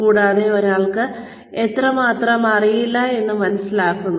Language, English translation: Malayalam, And, one realizes, how much one does not know